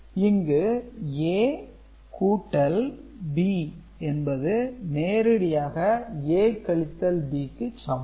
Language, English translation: Tamil, So, it will be A plus minus B that is A minus B